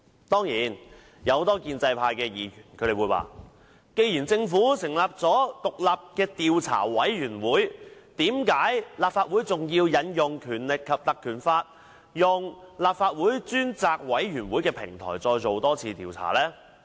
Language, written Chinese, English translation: Cantonese, 當然，有很多建制派議員會問，既然政府已成立獨立調查委員會調查事件，為何立法會還要引用《立法會條例》，以立法會專責委員會的平台再作調查？, Many pro - establishment Members will certainly ask this question As the Government has set up an independent Commission of Inquiry to investigate the incident why would the Legislative Council still have to invoke the Legislative Council Ordinance to set up a select committee and use it as a platform for another inquiry into the incident?